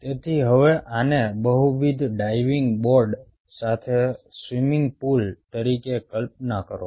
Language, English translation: Gujarati, so now imagine this as ah swimming pool with multiple diving board boards like this